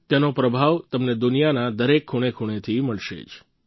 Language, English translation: Gujarati, You will find its mark in every corner of the world